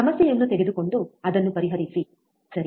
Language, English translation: Kannada, Take a problem and solve it, right